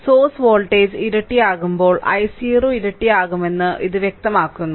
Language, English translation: Malayalam, So, this clearly shows that when source voltage is doubled i 0 also doubled